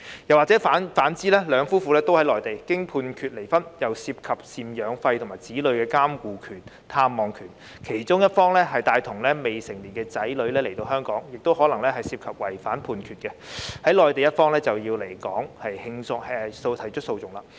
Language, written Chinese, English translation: Cantonese, 如果兩夫婦同在內地並經判決離婚，當中又涉及贍養費及子女的監護權、探望權，若其中一方帶同未成年子女來到香港，亦可能違反內地的判決，在內地的一方就要來港提出訴訟。, If the couple both live in the Mainland and are granted a divorce by the court the maintenance right of guardianship and right of access to their child are also involved . If a party takes a minor child to Hong Kong heshe may violate the Mainland judgment and the other party in the Mainland has to come to Hong Kong for litigation